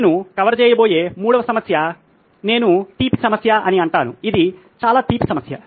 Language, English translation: Telugu, The 3rd problem that I am going to cover is a sweet problem as I call it, it’s a very sweet problem